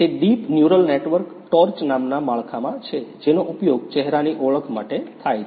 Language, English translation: Gujarati, That deep it is a deep neural network torch in a framework named torch which is being used for the facial recognition